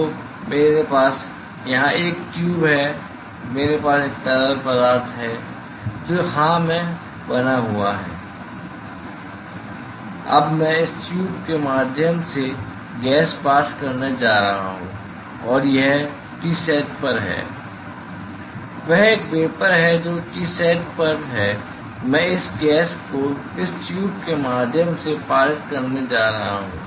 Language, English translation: Hindi, So, I have a tube here I have a fluid which is maintained at yes now I m going to pass gas through this tube and this is at Tsat; that is a vapor which is at T sat I am going to pass this gas through this tube